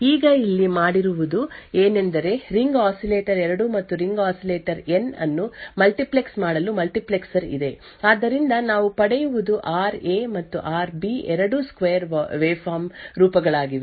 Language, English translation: Kannada, Now what is done over here is that there is a multiplexers to multiplex the ring oscillator 2 and the ring oscillator N therefore what we obtain is RA and RB both are square waveforms